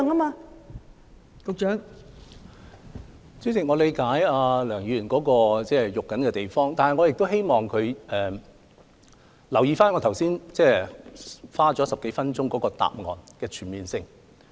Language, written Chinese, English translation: Cantonese, 代理主席，我理解梁議員關注的原因，但我亦希望她留意我剛才花了10多分鐘所作答覆的全面性。, Deputy President I understand the reasons for Dr LEUNGs concern but I hope that she has taken note of the comprehensive main reply which I spent over 10 minutes on presenting